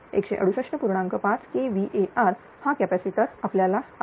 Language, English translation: Marathi, 5 kilo hour this is the capacitor you require